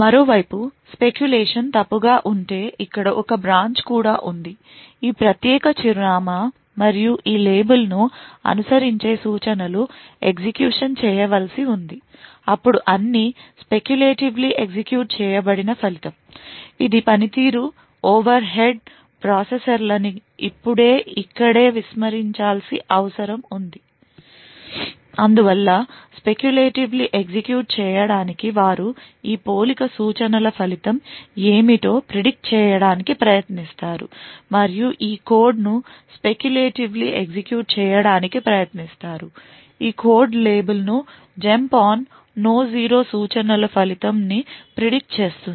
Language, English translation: Telugu, On the other hand if the speculation was wrong that is there was a branch that occurred over here too this particular address and the instructions that followed follows this label has to be executed then all the speculatively executed result needs to be discarded now here that it would be a performance overhead processors try their best therefore to speculatively execute correctly they would try to predict what would possibly be the result of this compare instruction and would try to speculatively execute either this code following the jump on no zero instruction or the code following the label depending on what they predicted would be the result of this jump on no zero instruction